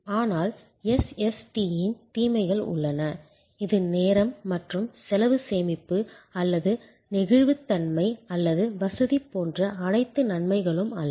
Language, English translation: Tamil, But, there are disadvantages of SST it is not all advantage like time and cost saving or flexibility or convenience